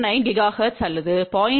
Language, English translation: Tamil, 1 gigahertz or 1